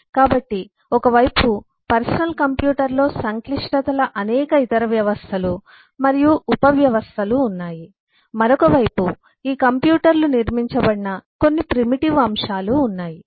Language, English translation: Telugu, so while on one side the personal computer has several other systems and subsystems of complexities, on the other side there are few primitive elements through which these computers are built up